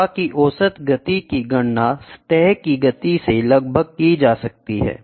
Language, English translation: Hindi, The average speed of flow can be calculated approximately from the surface speed